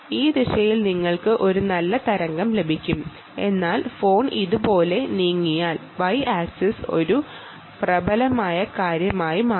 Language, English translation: Malayalam, right, you will get a nice wave in this direction, but if the phone moves like this, the y axis will become a dominant thing